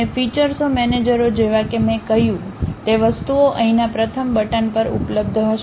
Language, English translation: Gujarati, And features managers like I said, those things will be available at the first button here